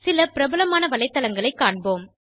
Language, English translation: Tamil, We will see the few popular websites